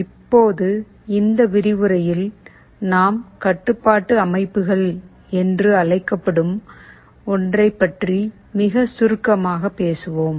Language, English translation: Tamil, Now in this lecture, we shall be talking about something called Control Systems very briefly